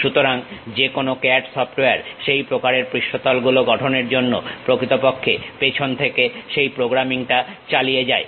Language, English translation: Bengali, So, any CAD software actually employs that background programming, to construct such kind of surfaces